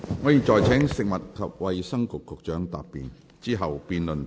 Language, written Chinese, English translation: Cantonese, 我現在請食物及衞生局局長答辯，之後辯論即告結束。, I now call upon the Secretary for Food and Health to reply . Thereafter the debate will come to a close